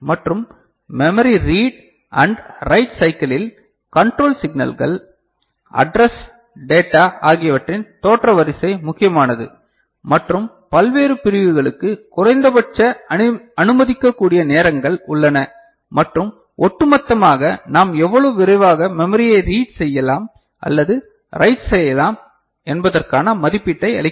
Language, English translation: Tamil, And in memory read and write cycle the sequence of appearance of control inputs, address and data are important and there are minimum allowable times for various segments and as a whole that gives us an estimate of how quickly we can read or write into memory ok